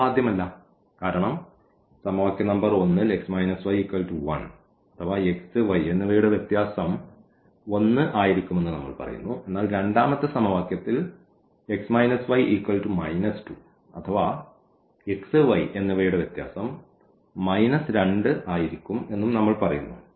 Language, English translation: Malayalam, So, this is not possible because in equation number 1 we are telling that x minus 1 the difference of x and minus x and y will be 1 whereas, in the second equation we are telling that the difference of x and y will be minus 2